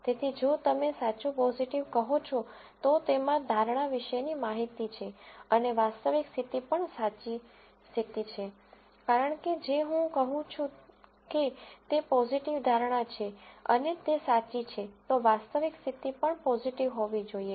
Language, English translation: Gujarati, So, if you say true positive, it has both information about the prediction and the actual condition also the true condition, because if I say it is positive prediction and that is true then the actual condition should have also been positive